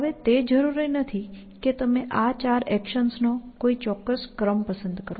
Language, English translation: Gujarati, Now it is not necessary that you choose a particular sequence of these four actions